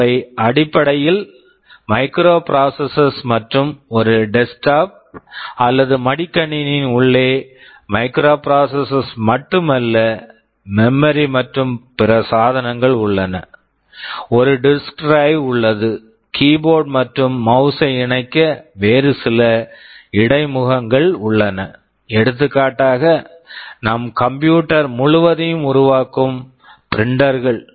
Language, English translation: Tamil, They are essentially microprocessors and inside a desktop or a laptop it is not only the microprocessors, there are memories, there are other devices, there is a disk drive there are some other interfaces to connect keyboard and mouse for example, printers that makes our entire computer